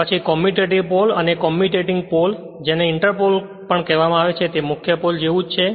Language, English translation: Gujarati, Then commutative poles commutating poles also called inter pole is similar to a main pole